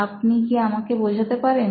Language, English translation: Bengali, Can you explain